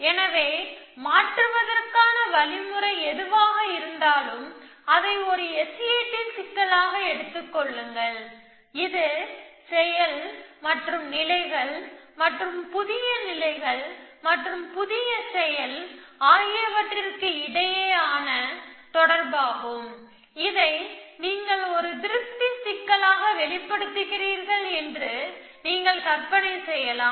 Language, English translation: Tamil, So, you can imagine that whatever the mechanism for convert, take it into a S A T problem, it is a relation between action and states and new states and new action so on and you express this as a satisfiability problem